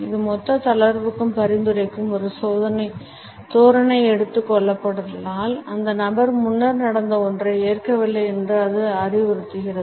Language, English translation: Tamil, It is also a posture which suggest a total relaxation; however, during discussions if this posture has been taken up, it suggests that the person is not accepting something which is happened earlier